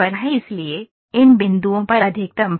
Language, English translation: Hindi, So, the maximum load is at these points